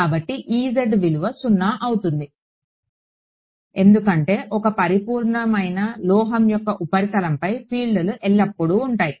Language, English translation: Telugu, So, e z is going to be 0 because on a perfect metal the surface the fields are always what